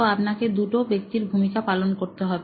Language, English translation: Bengali, So, you will have to do two roles